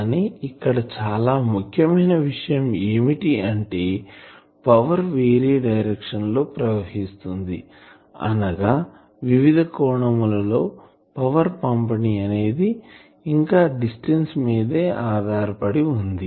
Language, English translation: Telugu, But one important point is here still the power that is flows in different direction; that means angular distribution of power that is still dependent on the distance